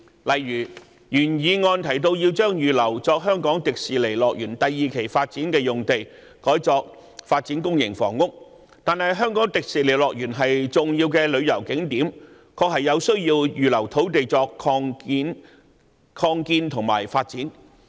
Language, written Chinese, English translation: Cantonese, 例如，原議案提到要將預留作香港迪士尼樂園第二期發展的用地，改作發展公營房屋，但香港迪士尼樂園是重要的旅遊景點，確有需要預留土地作擴建和發展。, For example the original motion mentioned converting the use of the site reserved for the second phase development of the Hong Kong Disneyland to public housing development . The Hong Kong Disneyland is an important tourist attraction and there is indeed the need to reserve land for its expansion and development